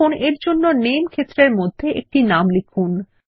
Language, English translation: Bengali, Lets type a name for this in the Name field